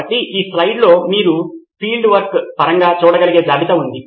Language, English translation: Telugu, So this slide has a list that you can look at in terms of field work